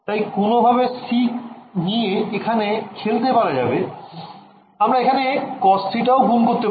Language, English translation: Bengali, So, in some sense you can play around with that number c right we can multiply by some cos theta whatever